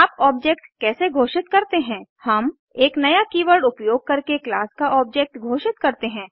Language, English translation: Hindi, How do you declare an object We declare an object of a class using the new keyword